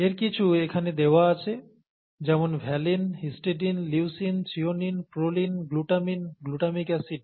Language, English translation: Bengali, Some of these are given here, valine, histidine, leucine, threonine, proline, glutamine, glutamic acid glutamic acid, okay